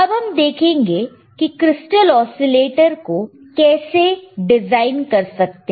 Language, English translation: Hindi, Now, let us see how we can design the crystal oscillator, how we can design the crystal oscillator or you can construct crystal oscillator